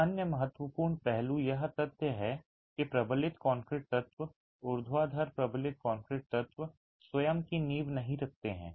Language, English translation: Hindi, Another important aspect is the fact that the reinforced concrete elements, the vertical reinforced concrete elements do not have a foundation of their own